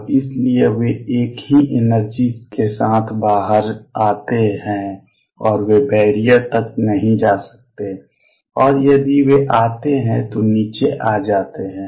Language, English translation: Hindi, And therefore, they come out with the same energy and they cannot go up to the barrier, and then come down if they did